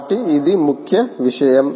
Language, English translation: Telugu, so that is the key